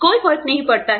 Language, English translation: Hindi, Does not matter